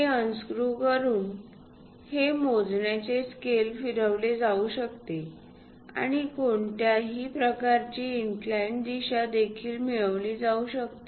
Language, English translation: Marathi, So, by unscrewing this, this measuring scale can be rotated and any incline direction also it can be assembled